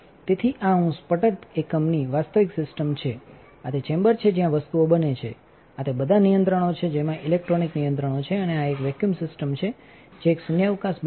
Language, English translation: Gujarati, So, this is an actual system of a sputter unit, this is the chamber where the things happens, these are all the controls which has electronic control, and this is a vacuum system that will create a vacuum